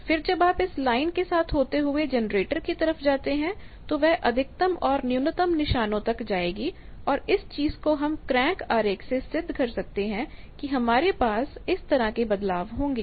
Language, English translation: Hindi, Then if you move along the line towards generator, it will go to maxima, minima and that thing is from this crank diagram it can be proved that you will have a variation like that